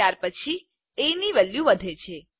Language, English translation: Gujarati, After that the value of a is incremented